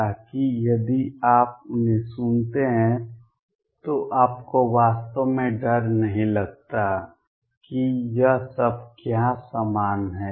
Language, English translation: Hindi, So, that if you hear them you do not really feel intimidated what it is all these are equivalent